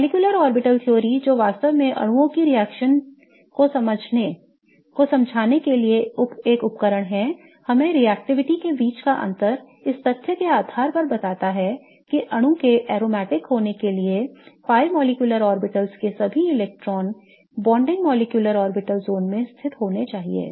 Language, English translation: Hindi, So, molecular orbital theory which is really a tool to explain the reactivity of molecules tells us the difference between the reactivity and kind of explains this difference in the reactivity based on the fact that for a molecule to be aromatic all the electrons for the pi molecular orbitals should be lying in the bonding molecular orbital zone